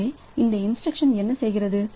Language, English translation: Tamil, So, what this instruction is doing